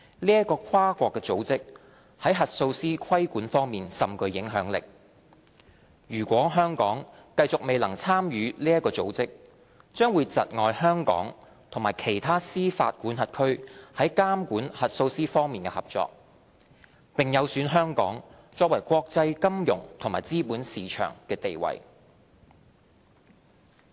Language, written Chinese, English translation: Cantonese, 該跨國組織在核數師規管方面甚具影響力，如果香港繼續未能參與該組織，將會窒礙香港與其他司法管轄區在監管核數師方面的合作，並有損香港作為國際金融及資本市場的地位。, This multinational organization wields considerable influence in the regulation of auditors . The continued failure of Hong Kong to be represented in that organization will hinder cooperation between Hong Kong and other jurisdictions in the regulation of auditors hampering our reputation as an international financial and capital market